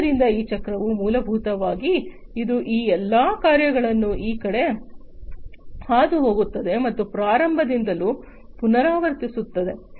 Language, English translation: Kannada, So, this cycle so basically it goes through this side these all these tasks and again repeat from the start